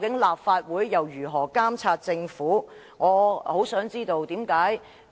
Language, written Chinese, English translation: Cantonese, 立法會日後還如何繼續監察政府？, How can the Legislative Council continue to monitor the Government in future?